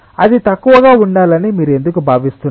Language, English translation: Telugu, why do you feel that it should be less